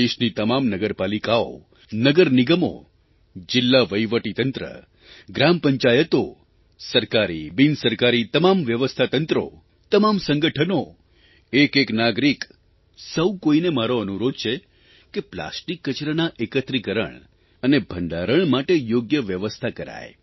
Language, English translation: Gujarati, I urge all municipalities, municipal corporations, District Administration, Gram Panchayats, Government & non Governmental bodies, organizations; in fact each & every citizen to work towards ensuring adequate arrangement for collection & storage of plastic waste